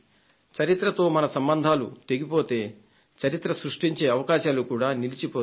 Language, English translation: Telugu, If we are detached from our history then the possibilities of creating history comes to an end